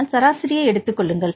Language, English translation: Tamil, So, you can get the average